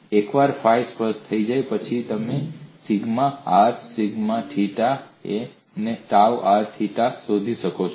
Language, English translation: Gujarati, Once phi is specified, you could find sigma r sigma theta dou r theta